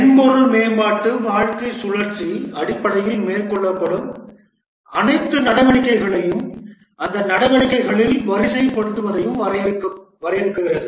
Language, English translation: Tamil, The software development lifecycle essentially defines all the activities that are carried out and also the ordering among those activities